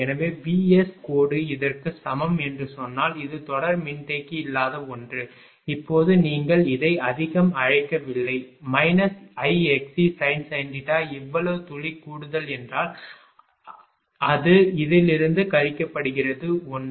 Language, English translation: Tamil, So, if we say that V S dash is equal to this one this one without series capacitor now not because of these this much you what you call ah this much of minus I x c it is sin theta this much drop extra is there it is subtracting from this 1